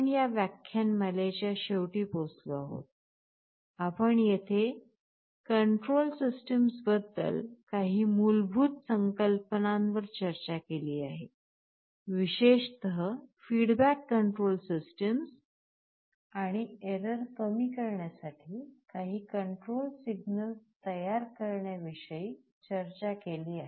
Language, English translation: Marathi, With this we come to the end of this lecture, where we have discussed some basic concepts about control systems in particular the feedback control systems and some standard ways of generating the control signal to minimize errors and other desirable properties